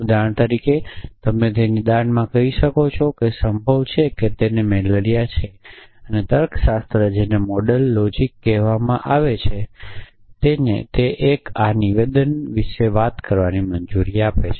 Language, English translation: Gujarati, So, for example, you might say in that diagnosis that it is possible that he has malaria essentially and these logics which are called modal logics allow 1 to talk about statements like this essentially